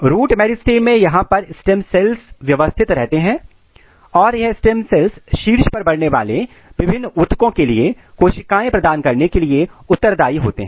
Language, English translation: Hindi, In root meristem the stem cells are maintained here and these stem cells are responsible for providing cells for different tissues which are growing in the tip